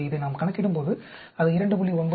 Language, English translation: Tamil, So, when we calculate this, it comes out to be 2